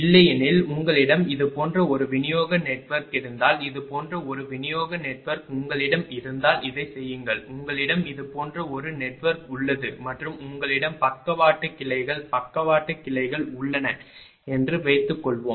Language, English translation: Tamil, Otherwise otherwise suppose if you have a distribution network like this , if you have a distribution network like this say this one you have right, you have a network like this and suppose you have a lateral branches, lateral branches right